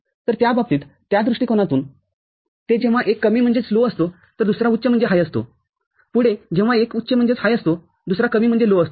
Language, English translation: Marathi, So, in that sense, in that perspective, they are when one is low another is high on when one is high the next, the other one is low